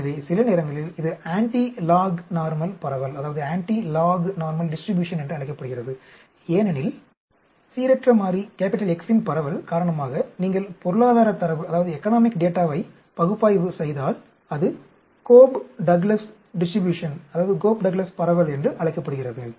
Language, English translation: Tamil, So sometimes it is called antilog normal distribution, because the distribution of the random variable X, it is also called “Cobb Douglas distribution” if you are analyzing economic data